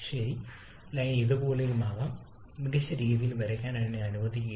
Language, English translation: Malayalam, Okay let me draw in a better way the line may be somewhat like this